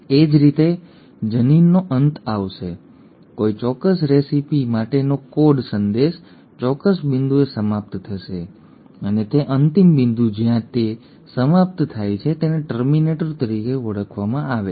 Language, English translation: Gujarati, Similarly the gene will end, the code message for a particular recipe will end at a certain point and that end point where it ends is called as a terminator